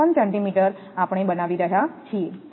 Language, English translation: Gujarati, 8354 centimeters we are making it